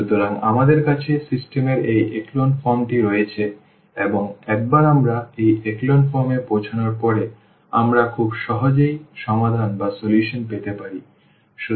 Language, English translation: Bengali, So, we have this echelon form of the system and once we reach to this echelon form we can get the solution very easily